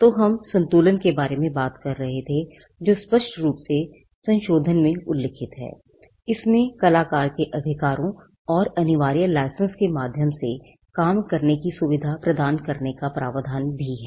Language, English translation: Hindi, So, there is a balance that we were talking about that is expressly mentioned in the amendment, it also has provisions on performer’s rights and a provision to facilitate access to works by means of compulsory licences